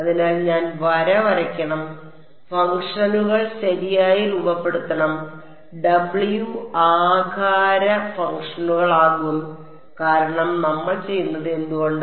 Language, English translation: Malayalam, So, I should draw line, shape functions right, W will be the shape functions why because we are doing